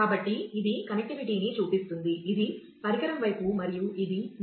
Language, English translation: Telugu, So, this is this is what shows the connectivity, this is the device side and this is the pure backend or your service provider side